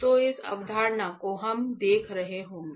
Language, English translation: Hindi, So, this concepts we will be looking at